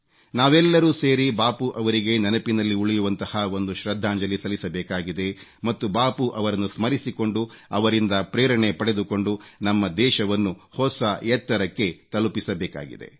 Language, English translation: Kannada, We all have to pay a memorable tribute to Bapu and have to take the country to newer heights by drawing inspiration from Bapu